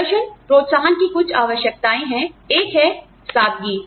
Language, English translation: Hindi, Some requirements of performance incentives are, one is simplicity